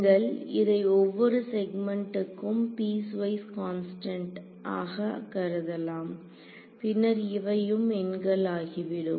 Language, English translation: Tamil, So, you can assume them to be piecewise constant in each segment so, then these guys also just become numbers